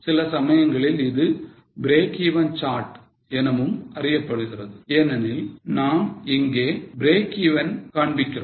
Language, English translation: Tamil, Sometimes this is also known as break even chart because we are showing break even here